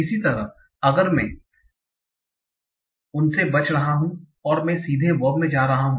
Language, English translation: Hindi, Similarly, so if I'm escaping those, I'm going to the verb directly